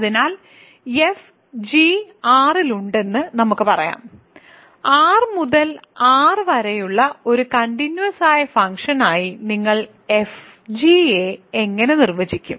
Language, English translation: Malayalam, So, let us say f, g are in R how do you define fg from as a continuous function from R to R